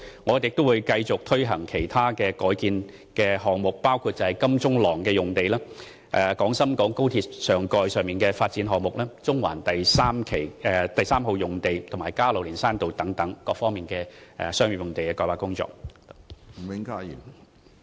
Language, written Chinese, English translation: Cantonese, 我們會繼續推行其他改建項目，包括金鐘廊用地、廣深港高速鐵路上蓋的發展項目、中環第三號用地，以及加路連山道用地等各方面的商業用地改劃工作。, We will continue to carry out other rezoning projects including rezoning for commercial purposes the Queensway Plaza site the topside development of the Guangzhou - Shenzhen - Hong Kong Express Rail Link the Central Harbourfront Site 3 and the Caroline Hill Road site